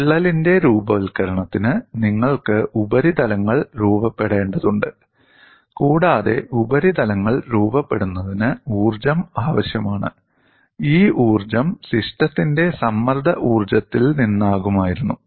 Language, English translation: Malayalam, This is you can visualize physically for the formation of crack, you need to have surfaces to be formed and energy is required to form the surfaces; this energy would have come from the strain energy of the system